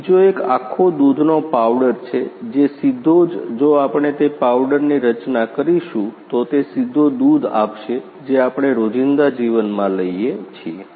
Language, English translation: Gujarati, Another one is whole milk powder which directly if we the constituted that powder, it will give the directly the milk which we are taking in day to day life